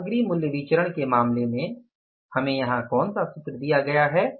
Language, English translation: Hindi, In case of the material price variance, what is the formula here given to us